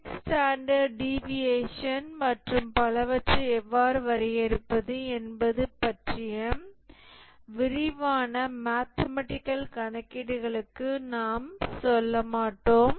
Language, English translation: Tamil, We will not go into the detailed mathematical computations, how to define the six standard deviations and so on